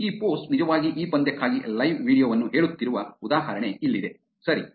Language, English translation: Kannada, Here is an example where this post is actually saying live video for this match, right